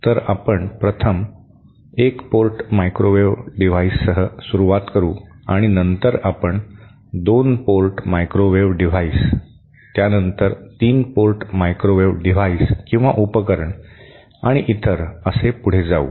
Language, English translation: Marathi, So, we shall be starting with one port microwave devices 1st and then we will proceed to 2 port microwave devices, then to 3 port microwave devices and so on